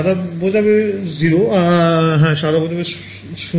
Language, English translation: Bengali, Yeah, white it is 0; yeah white it is 0